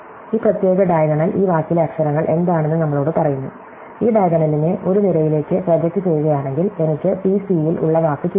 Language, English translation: Malayalam, So, this particular diagonal tells us what the letters in the word are and if I just project this diagonal on to both the one column, I get the word in c, c